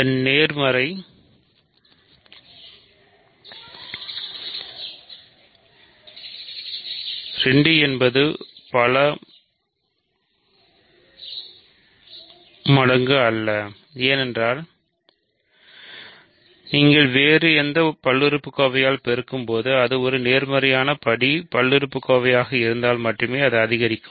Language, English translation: Tamil, And once its positive, 2 is not a multiple of because if it is a positive degree polynomial when you multiply by any other polynomial degree only increases, it may stay the same